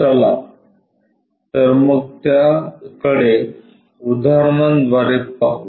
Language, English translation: Marathi, Let us look at that through an example